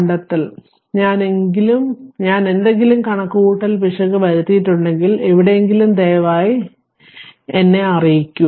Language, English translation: Malayalam, And if you find I am made any calculation error, or anywhere you just please let me know